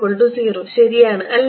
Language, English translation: Malayalam, R equal to 0